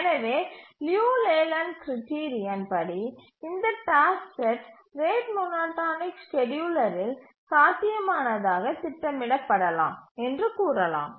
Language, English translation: Tamil, 778 and therefore by the Leland criterion we can say that this task set can be feasibly scheduled in the rate monotonic scheduler